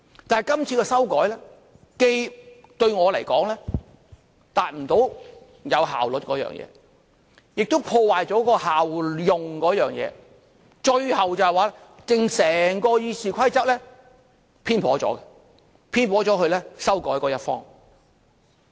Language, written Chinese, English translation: Cantonese, 但是今次的修改，對我們來說，既達不到有效率的目的，亦破壞了效用方面，最後整本《議事規則》偏頗了，偏頗了到修改它的一方。, Nevertheless we consider that the amendments this time around cannot achieve the objective of efficiency and they undermine the effectiveness of the rules . Eventually the book of Rules of Procedure becomes partial . It is so partial that it is skewed towards those who amend it